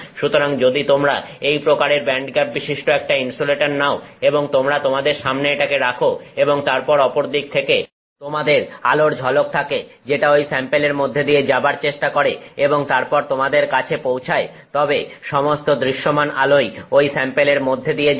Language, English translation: Bengali, So, if you take an insulator with this kind of a band gap and you keep it in front of you and then you have light shining from the other side which is trying to go through the sample and then reach you, all of the visible light will go through this sample